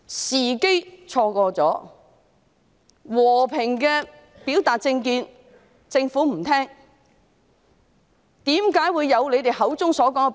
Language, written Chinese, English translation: Cantonese, 市民和平表達政見，但政府不聽，因而錯失時機。, The Government did not listen to the people when they voiced their political views in a peaceful manner so it missed the opportunity